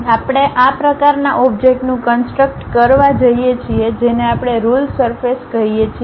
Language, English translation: Gujarati, If we are going to construct such kind of object that is what we called ruled surface